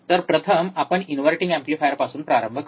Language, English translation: Marathi, So, first we will start with the inverting amplifier